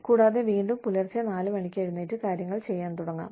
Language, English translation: Malayalam, And, may be able to get up, at 4 in the morning, again, and start doing things